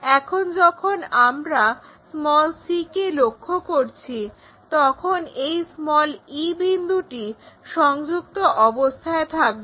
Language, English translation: Bengali, Now, when we are looking from c this point e is connected